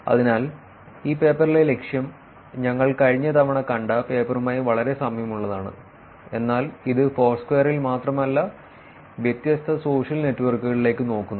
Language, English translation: Malayalam, So, the goal in this paper is very similar to the paper that we saw last time, but it is going to be looking at different social networks not just only Foursquare